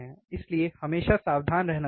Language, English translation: Hindi, So, we should always be careful